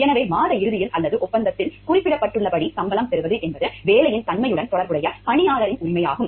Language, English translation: Tamil, So, to get a salary at the end of the month or as mentioned in the contract is an employee right which is connected with the nature of employment